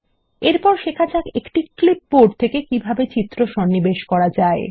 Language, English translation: Bengali, Next we will learn how to insert image from a clipboard